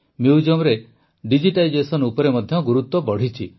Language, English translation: Odia, The focus has also increased on digitization in museums